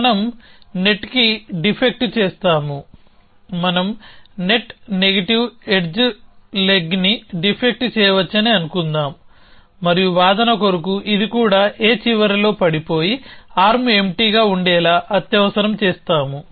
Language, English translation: Telugu, So, I have negative edge going from here, so we will defect to net, let say we can defect net negative edge leg this, and for argument sake we will urgent that this also becomes falls at the end of A and arm empty